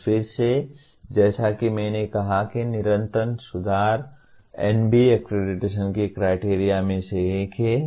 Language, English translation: Hindi, And again as I said continuous improvement is one of the criterion of NBA accreditation